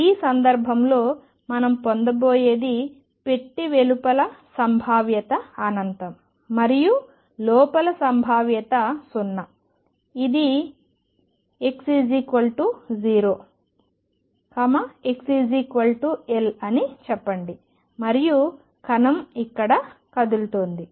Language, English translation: Telugu, In this case what we are going to have is a box in which the potential is infinite outside the box, and potential is 0 inside let us say this is x equal 0 x equals L and the particle is moving around here